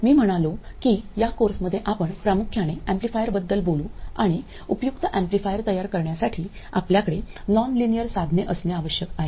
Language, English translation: Marathi, I said that in this course we will mainly deal with amplifiers and in order to make useful amplifiers you need to have nonlinear devices